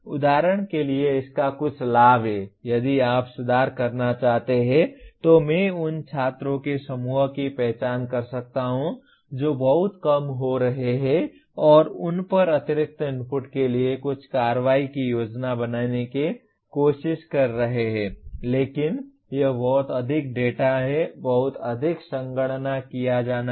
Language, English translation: Hindi, This has certain advantage of for example if you want to improve then I can identify the group of students who are getting very much less and try to plan some action at or rather additional inputs to them but this is a lot of data, lot of computation to be done